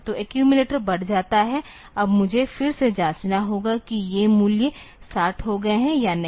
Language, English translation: Hindi, So, the accumulator is incremented now again I need to check whether these value has becomes 60 or not